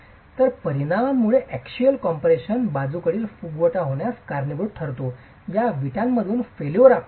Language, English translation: Marathi, So, axial compression leading to lateral bulging because of the poisons effect is the way you would see the failure in these bricks themselves